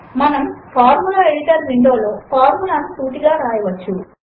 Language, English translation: Telugu, We can directly write the formula in the Formula Editor window